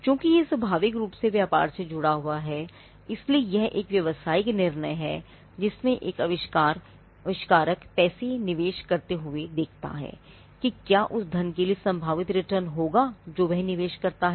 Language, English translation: Hindi, Because since it is so inherently tied to business, it is a business call, or it is a call that an inventor has to take in investing money looking at whether there will be possible returns for the money that he invests